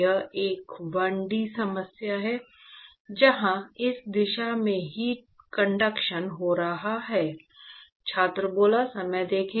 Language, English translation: Hindi, It is a 1D problem, where you have heat conduction happening in this direction